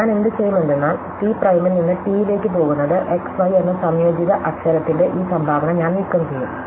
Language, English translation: Malayalam, So, what I will do, I will be going to T prime to T is I will remove this contribution of the composite letter xy